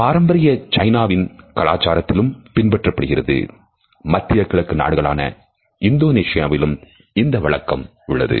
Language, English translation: Tamil, The same was followed in conventional Chinese culture also in Indonesia in countries of the Middle East also